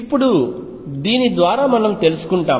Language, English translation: Telugu, Now through this we find out